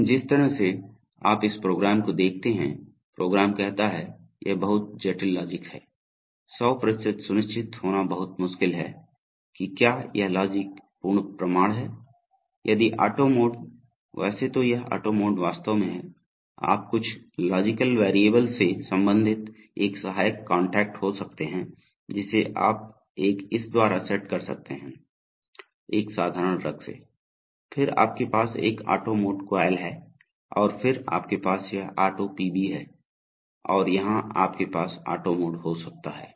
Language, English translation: Hindi, But the kind of, here you see if you look at this program, this program says, it is very complicated logic and I am not even one 100% sure it is very difficult to be 100% sure whether this logic is full proof, it says that if the auto mode, by the way this auto mode is actually, you can it is an auxiliary contact corresponding to some logical variable which you can set for it, by a by a, by a simple rung, that if it is auto PB and then you have an auto mode coil and then you have, this is auto PB and here you can have auto mode